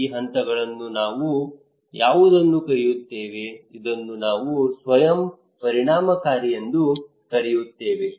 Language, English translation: Kannada, What we call these phase, this one we call as self efficacy